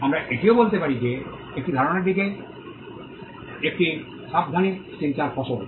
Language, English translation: Bengali, We could also say that an idea is product of a careful thinking